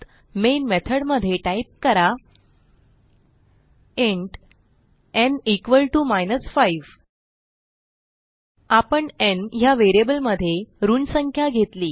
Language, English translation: Marathi, So inside the main method type int n = minus 5 We have created a variable n to store the negative number